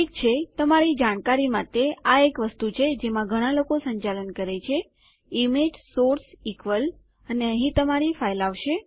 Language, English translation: Gujarati, Okay, just to let you know, this is one thing that a lot of people run into: image source equals and your file goes there